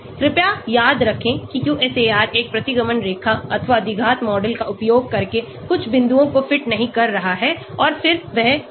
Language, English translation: Hindi, Please remember QSAR is not fitting some points using a regression line or quadratic model and then that is it